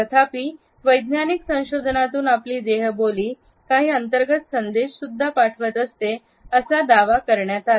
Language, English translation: Marathi, However, scientific researchers have now claimed that our body language also sends internal messages